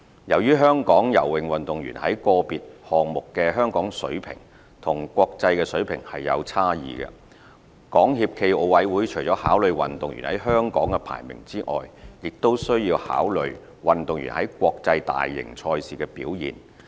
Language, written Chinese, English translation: Cantonese, 由於香港游泳運動員在個別項目的水平與國際水平有差異，港協暨奧委會除了考慮運動員在香港的排名外，亦須考慮運動員在國際大型賽事的表現。, In the light of the gaps between local and international levels of performance in certain swimming events SFOC had to give consideration to the athletes performances in major international competitions in addition to their rankings in Hong Kong